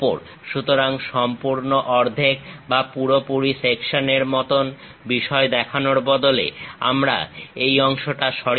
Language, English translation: Bengali, So, instead of showing complete half, full section kind of thing; we use remove this part